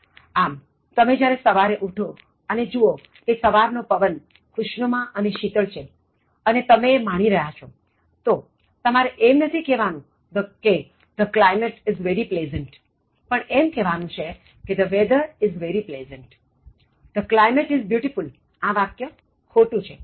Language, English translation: Gujarati, So, when you get up and then find that the morning wind is very pleasant and then slightly chill and then you enjoy the morning wind conditions and the atmospheric conditions, you should not say the climate is very pleasant, you need to say the weather is very pleasant